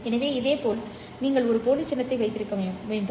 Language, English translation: Tamil, So similarly you will have to have a dummy symbol